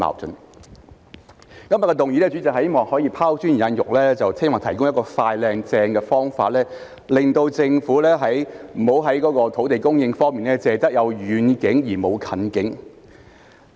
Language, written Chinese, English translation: Cantonese, 主席，今天的議案是希望可以拋磚引玉，提供一個"快、靚、正"的方法，令政府不要在土地供應方面只有遠景而沒有近景。, President in proposing this motion today I hope to throw out a sprat to catch a mackerel by suggesting a swift smart and swell approach so that the Government will not only look at the long term but not the near term in respect of land supply